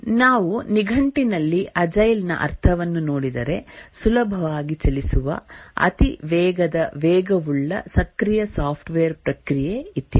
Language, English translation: Kannada, If we look at the meaning of agile in dictionary, agile means easily moved, very fast, nimble, active software process, etc